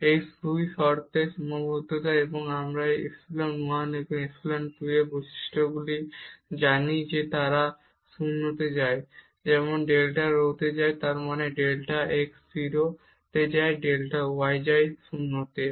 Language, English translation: Bengali, So, when taking the limit, so we observe because of the boundedness of these 2 terms and we know the properties of these epsilon 1 and epsilon 2 that they go to 0 as delta rho goes to 0 means delta x go to 0 delta y go to 0